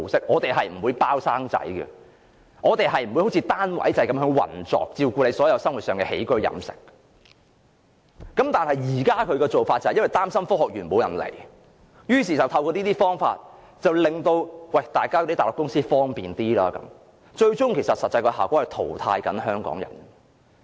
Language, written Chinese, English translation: Cantonese, 我們不會"包生仔"，我們不會像單位制般運作，照顧員工生活上的起居飲食，但政府現時擔心沒有人才來科學園，於是便透過這個計劃，給內地公司一些方便，最終的實際效果是淘汰香港人。, We will not pledge a baby as you let nature take its course nor will we operate like a unit and take care of everything in the daily life of our employees . But the Government is worried that no talent would come to the Science Park so it provides convenience to Mainland companies through the scheme but the eventual and actual outcome would be Hong Kong people falling into disuse